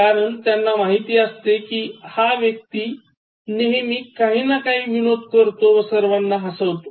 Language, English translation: Marathi, Because they know that oh, this person always tells some jokes that will make me laugh